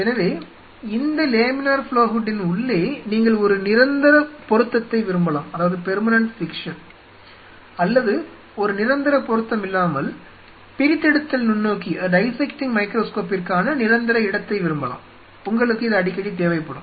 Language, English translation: Tamil, So, out here inside this laminar flow hood, you may prefer to have a permanent fixture or a not a fixture a permanent location for dissecting microscope, you will be needing this pretty frequently